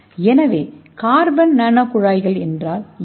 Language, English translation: Tamil, So what is carbon nano tube